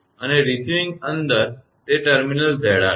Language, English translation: Gujarati, And receiving inside it is terminal Z r